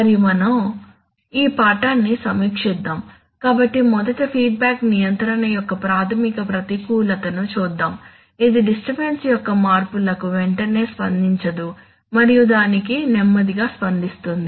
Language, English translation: Telugu, Let us review this lesson, so first of all look at a fundamental disadvantage of feedback control, in the sense that it cannot respond immediately to changes in disturbance and is slow to that